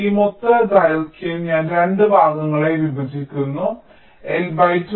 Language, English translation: Malayalam, i break this total length into two parts: l by two and l by two